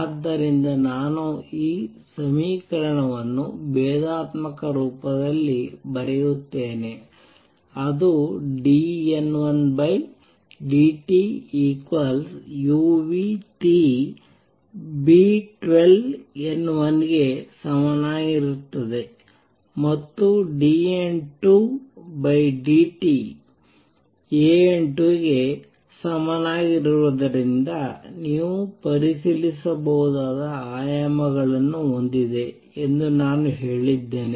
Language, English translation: Kannada, So, therefore, I would write this equation in differential form it will become dN 1 over dt would be equal to minus u nu T B 12 times N 1 and this is what I said has the same dimensions as a that you can check because dN 2 dt was equal to A times N 2